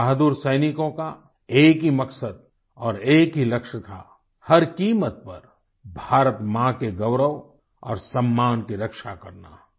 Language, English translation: Hindi, Our brave soldiers had just one mission and one goal To protect at all costs, the glory and honour of Mother India